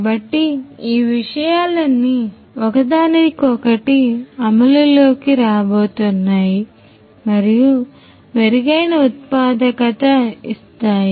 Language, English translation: Telugu, So, all of these things are going to be come in come in place and there is going to be the improved productivity